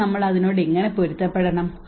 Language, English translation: Malayalam, So how we have to adjust with that